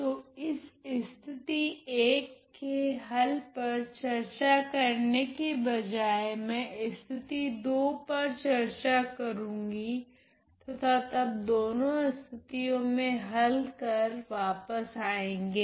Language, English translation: Hindi, So without discussing the solution to this 1st case I am going to discuss the 2nd case and then come back to the solution to both the cases